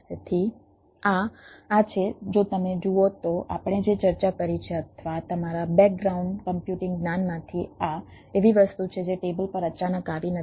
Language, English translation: Gujarati, if you look at what we have discussed or from your ah background computing knowledge, this is something which is not came up suddenly on on the table